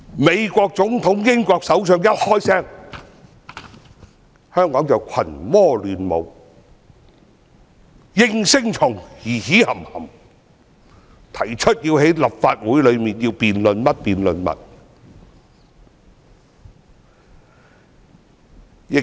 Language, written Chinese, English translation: Cantonese, 美國總統、英國首相等外國勢力一說話，香港的應聲蟲便群魔亂舞，在立法會提出各種辯論。, Whenever foreign powers such as the American President and the British Prime Minister made a remark the yes - men in Hong Kong will act crazily and propose all sorts of debates in this Council